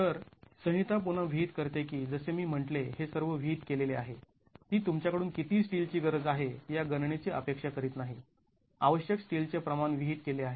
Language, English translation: Marathi, So, the code again then prescribes, as I said, these are all prescriptive, it does not expect you to calculate how much of steel is required